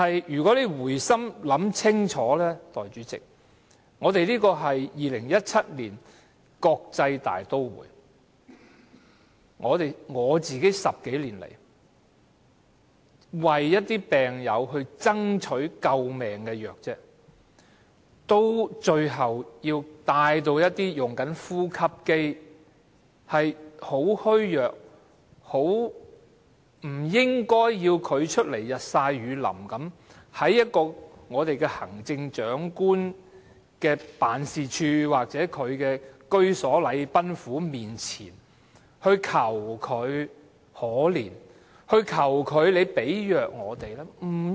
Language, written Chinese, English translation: Cantonese, 然而，代理主席，回心一想，在2017年香港這個國際大都會，我要為病友爭取救命藥物10多年，最後還要請那些正使用呼吸機、十分虛弱、不應日曬雨淋的病友站出來，到行政長官辦事處或禮賓府面前，求特首憐憫，為他們提供藥物。, We feel hopeful . However Deputy President on second thought in this year of 2017 and in a cosmopolitan city like Hong Kong I have been striving for life - saving drugs for patients for over a decade . Eventually I have to ask fragile patients still on a ventilator who should not be exposed to the elements to come forward to the Chief Executives Office or Government House to beg for the Chief Executives mercy to provide drugs for them